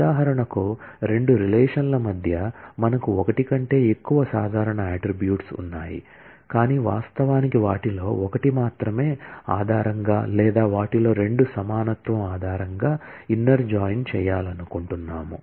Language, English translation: Telugu, For example, between the two relations, we have more than one common attribute, but we may want to actually do the inner join based on only one of them or equality on two of them and so on